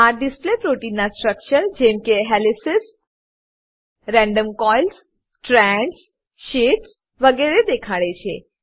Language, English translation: Gujarati, This display shows the secondary structure of protein as helices, random coils, strands, sheets etc